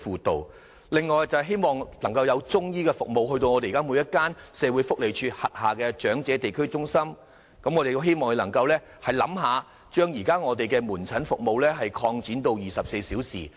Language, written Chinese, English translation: Cantonese, 此外，我們亦希望政府可以在每間社會福利署轄下的長者地區中心增設中醫服務，也可考慮把現時的門診服務擴展至24小時。, Moreover we also hope that the Government can introduce Chinese medicine consultation services in individual EHCs under the Social Welfare Department and consider extending outpatient services to 24 hours